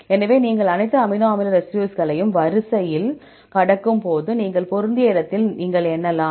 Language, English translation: Tamil, So, when you pass all the amino acid residues in the sequence, so where you have match then you can count